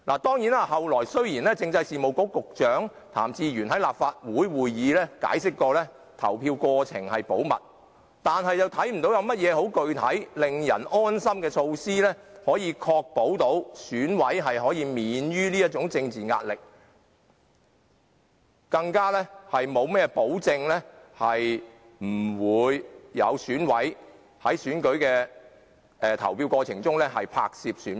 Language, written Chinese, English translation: Cantonese, 雖然政制及內地事務局局長譚志源後來在立法會會議上重申投票過程保密，但我們看不到政府有何令人安心的具體措施，確保選委可免受政治壓力，更沒有保證選委在選舉過程中不會拍攝選票。, Although Raymond TAM Secretary for Constitutional and Mainland Affairs later reiterated at a Legislative Council meeting that the voting process was confidential we do not see any measures taken by the Government to ease the peoples mind or to ensure that the election is free from political pressure; neither are there any guarantee that EC members would not take photos of ballot papers during the voting process